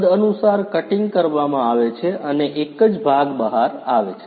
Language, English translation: Gujarati, Accordingly cutting is done and a single part comes out